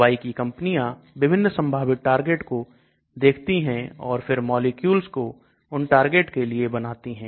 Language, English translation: Hindi, So Pharma companies look at different possible targets and start designing molecules towards those targets